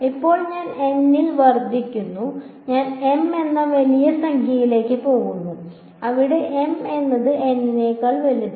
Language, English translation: Malayalam, Now let say I increase from N, I go to a larger number M, where M is greater than N